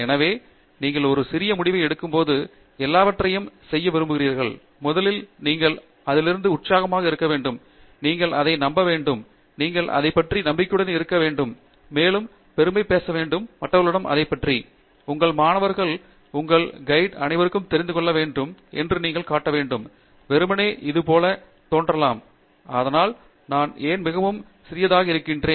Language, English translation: Tamil, So, one for the point you want make about all these when you get a small result, you have to be first of all excited by it, you have to believe in it and you have to be confident about it and you have to proudly talk about it to others; your students, your advisor, everybody and you have to show that you know, simply it might look like, why should I be so proud about something so small